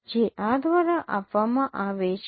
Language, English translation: Gujarati, So which is given by this